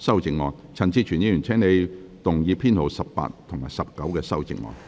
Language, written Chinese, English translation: Cantonese, 陳志全議員，請你動議編號18及19的修正案。, Mr CHAN Chi - chuen you may move Amendment Nos . 18 and 19